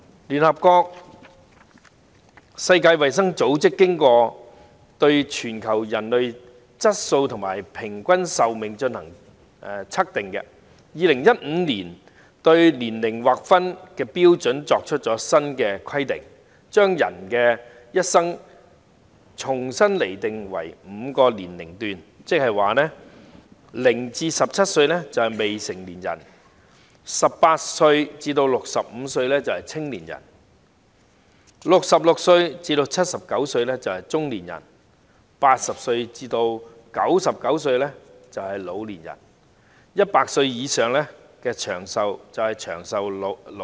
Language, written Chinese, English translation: Cantonese, 聯合國世界衞生組織經過對全球人體質素和平均壽命進行測定，在2015年對年齡劃分標準作出新的規定，將人的一生重新釐定為5個年齡段，即是0歲至17歲為未成年人 ，18 歲至65歲為青年人 ，66 歲至79歲為中年人 ，80 歲至99歲為老年人 ，100 歲以上為長壽老人。, The World Health Organization of the United Nations introduced a new age group classification in 2015 after measuring global health quality and life expectancy . Under the new definition human age is divided into five age groups namely underage between 0 and 17 years old; young people between 18 and 65 years old; middle - aged between 66 and 79 years old; elderly between 80 and 99 years old and long - lived elderly for above 100 years old